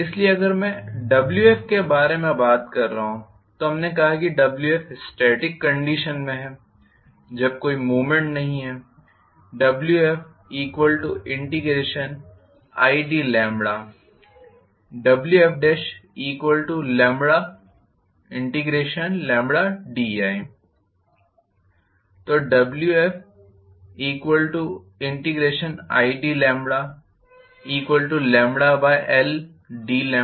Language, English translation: Hindi, So, if I am talking about a Wf we said WF under static condition when there is no movement is I d lambda,right